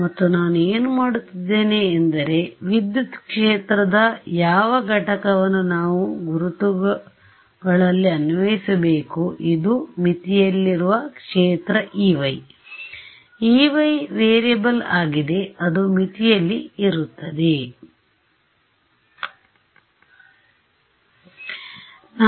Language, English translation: Kannada, And what do I want to do is want to impose which component of electric field should this we apply to in the identities which is the field on boundary E y right E y is the variable that is lying on the boundary